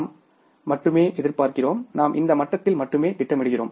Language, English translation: Tamil, We are only anticipating, we are only planning at this level